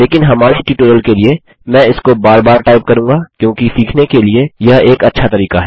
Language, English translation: Hindi, But for our tutorials sake, I will keep typing it over and over again because this is a good way to learn